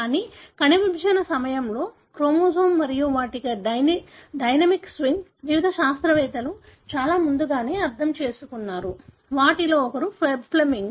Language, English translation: Telugu, But the chromosome and their dynamic swing during the cell division, was understood much before by various scientists, one of them being Flemming